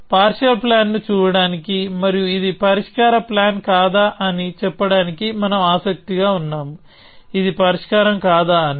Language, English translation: Telugu, We are interested in a way of looking at a partial plan and saying whether it is a solution plan or not, it is a solution or not